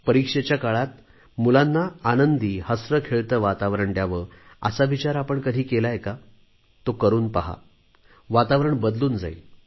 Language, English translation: Marathi, Have you ever thought of creating an atmosphere of joy and laughter for children during exams